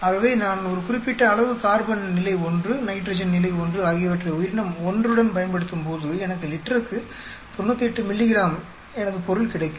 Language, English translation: Tamil, So when I use a certain amount of carbon level 1, nitrogen level 1 with organism one, I get 98 milligrams per liter of my product